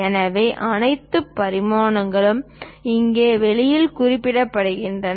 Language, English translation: Tamil, So, all the dimensions are mentioned here on the outside